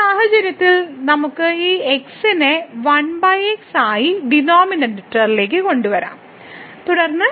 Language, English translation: Malayalam, So, in this case we can bring this to the denominator as 1 over x and then over